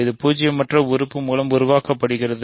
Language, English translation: Tamil, So, it is generated by a non zero element